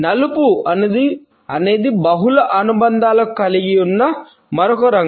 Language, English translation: Telugu, Black is another color which has multiple associations